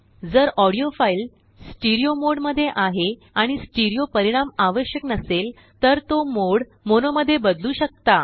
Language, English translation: Marathi, If the audio file is in stereo mode and stereo output is not required, then one can convert the mode to mono